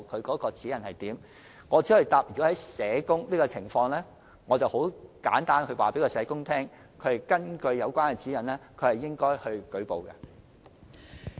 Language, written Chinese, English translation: Cantonese, 我只可以回答，就社工的情況而言，簡單來說，根據有關指引是應該作出舉報的。, I can only say that for social workers to put it simply they should report the case according to the relevant guideline